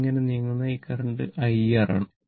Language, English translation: Malayalam, This is moving like this current is I R